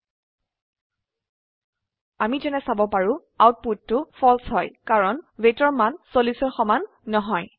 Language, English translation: Assamese, Save and Run As we can see, the output is False because the value of weight is not equal to 40